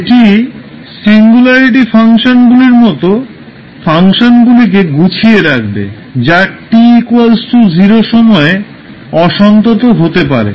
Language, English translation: Bengali, So this will accommodate the functions such as singularity functions, which may be discontinuous at time t is equal to 0